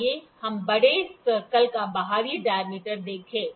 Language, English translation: Hindi, Let us see the external dia of the bigger circle